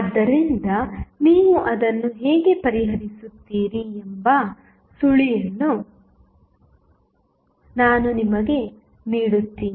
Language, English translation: Kannada, So, I will just give you the clue that how you will solve it